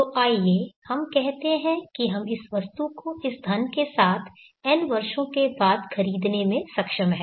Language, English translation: Hindi, So let us say that we are able to purchase after n years with this money this item